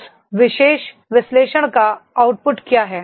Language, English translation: Hindi, What is the output of that particular analysis